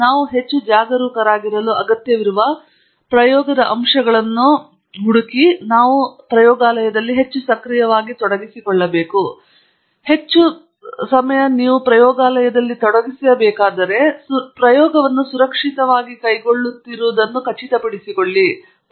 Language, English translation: Kannada, And so, we have to be even more actively involved in figuring out the aspects of that experiment that require us to be more careful, and you know, where we have to put in more effort and ensure that the experiment is carried out safely